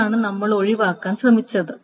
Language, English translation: Malayalam, So that is what we have been trying to avoid